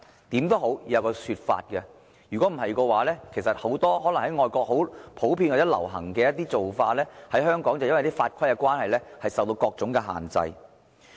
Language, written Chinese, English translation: Cantonese, 無論如何，政府也應該提出一種說法，否則很多外國很普遍或流行的做法，在香港卻因為法規關係而受到各種限制。, In any case the Government must give an explanation otherwise many practices that are common or popular in foreign countries are subject to various restrictions in Hong Kong due to laws and regulations